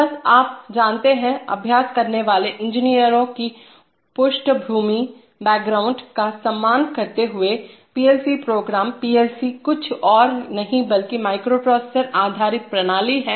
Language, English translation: Hindi, So just, you know, respecting the background of the practicing engineers, the PLC programs, the PLCs are nothing but microprocessor based system